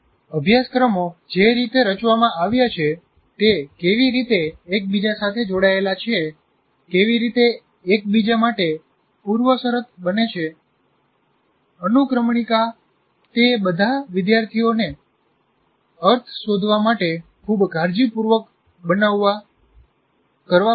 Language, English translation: Gujarati, The way the courses are designed, how they are interconnected, how one becomes a prerequisite to the other, the sequencing, all of them will have to be very carefully designed for the student to find meaning